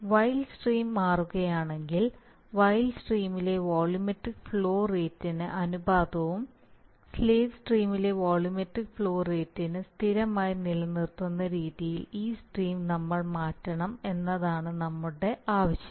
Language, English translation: Malayalam, So basically I will tell you, our idea is that if the wild stream changes, we must change this stream in such a manner that the ratio of the volumetric flow rate in the wild stream and the volumetric flow rate in the controlled stream are maintained as constant, right